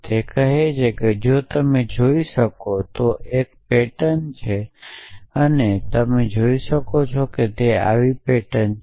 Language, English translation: Gujarati, It says if you can see is such a pattern and if you can see is such a pattern